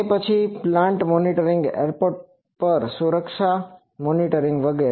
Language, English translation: Gujarati, Then plant monitoring, security monitoring at airport etc